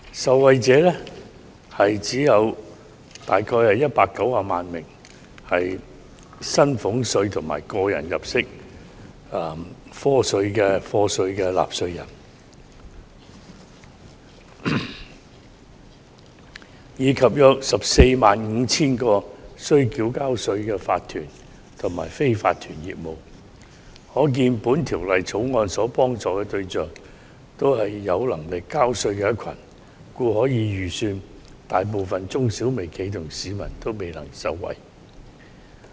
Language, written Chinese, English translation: Cantonese, 受惠者只有約190萬名薪俸稅及個人入息課稅的納稅人，以及約 145,000 個須繳稅的法團及非法團業務，可見《條例草案》幫助的對象是有能力交稅的一群，故可以預期，大部分中小微企及市民也未能受惠。, The Bill will benefit only about 1.9 million taxpayers of salaries tax and tax under personal assessment and 145 000 tax - paying corporations and unincorporated businesses . We can thus see that the Bill targets people who are eligible to pay tax and it can be expected the majority of micro small and medium enterprises and members of the public will not be able to benefit from it